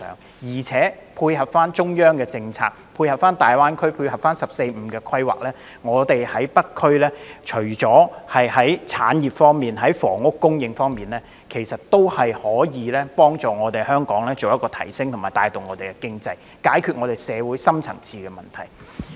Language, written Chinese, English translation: Cantonese, 只要配合中央的政策、大灣區的發展和"十四五"規劃，除了北區的產業和房屋發展以外，還可以幫助提升香港的地位、帶動經濟發展，以及解決社會的深層次問題。, As long as we go in tandem with the policies of the Central Authorities the development of the Greater Bay Area GBA and the 14 Five - Year Plan not only can we develop industries and housing in the North District it will also help enhance Hong Kongs status drive economic development and solve deep - seated problems of our society